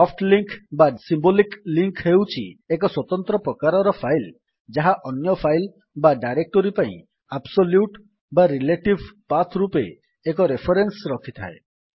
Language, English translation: Odia, Soft link symbolic link is a special type of file that contains a reference to another file or directory in the form of an absolute or relative path